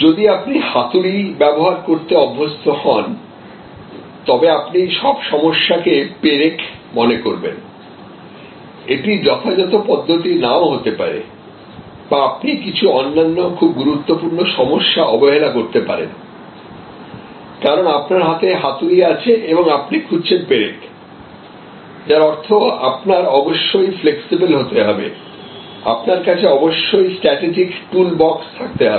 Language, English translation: Bengali, If you get used to a hammer, then you will start choosing all problems as nails, which may not be at all the appropriate approach or you might neglect some other very important problems, because you have the hammer in your hand and you are looking for nails, which means that you must remain flexible, you must have a strategic toolbox